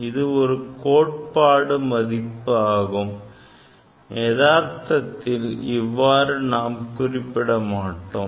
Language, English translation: Tamil, This is the theoretical value; this is the theoretical value, but practically you cannot write your answer like this